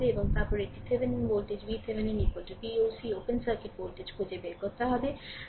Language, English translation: Bengali, And then, after that you have to find out your Thevenin voltage V Thevenin is equal to V oc, the open circuit voltage